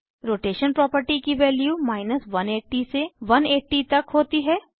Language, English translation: Hindi, Rotation property has values from 180 to 180